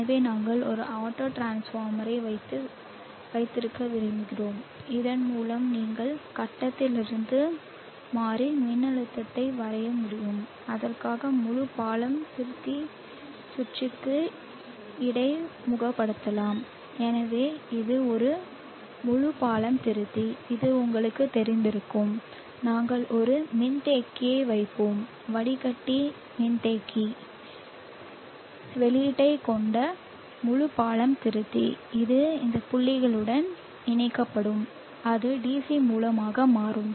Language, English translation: Tamil, So let us draw transformer it is not a transformer it is an autotransformer so we would like to have an auto transformer there so that you can draw variable voltage from the grid and do that later the interface full bridge rectifier circuit so this is a full bridge rectifier you are familiar with this and we will place a capacitor filter full bridge rectifier with capacitor filter output and this will get connected to this point and that will become the DC source now you can see the portion of the system from here